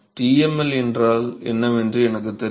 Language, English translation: Tamil, I know what is TmL